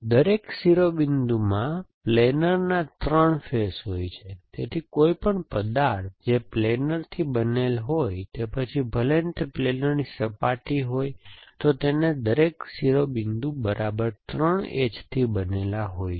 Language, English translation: Gujarati, So, each vertices has 3 faces and faces of planer, so any object which is made up of planers, whether surface of planer and where every edge every vertices is made up of exactly 3 edges